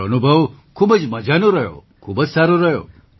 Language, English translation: Gujarati, My experience was very enjoyable, very good